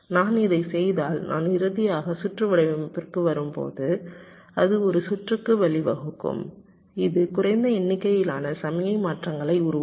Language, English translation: Tamil, if i do this, it is expected that when i finally come to the designing of the circuit, it will result in a circuit which will be creating less number of signal transitions